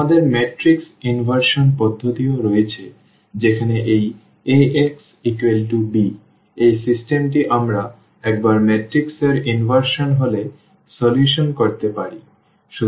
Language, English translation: Bengali, We have also the matrix inversion method where this Ax is equal to b this system we can solve once we have the inverse of the matrix